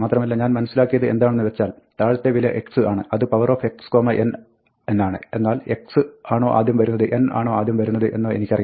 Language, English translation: Malayalam, And I know that, x is the bottom value I know it is x to the power n, but I do not remember whether x comes first, or n comes first